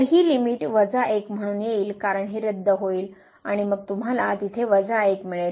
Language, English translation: Marathi, So, this limit will be coming as minus 1 because this will got cancelled and then you will get minus 1 there